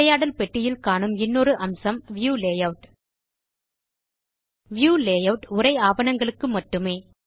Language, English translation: Tamil, Another feature in the dialog box is the View layout The View layout option is for text documents